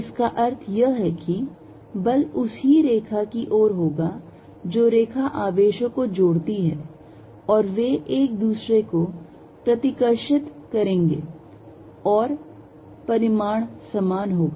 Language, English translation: Hindi, What it means is that, the force is going to be along the same lines as the line joining the charges and they going to repel each other and the magnitude being the same